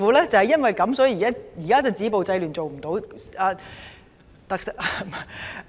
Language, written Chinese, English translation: Cantonese, 亦正因如此，現時政府止暴制亂的工作尚未做好。, And precisely for the same reason the Government has not been able to stop violence and curb disorder properly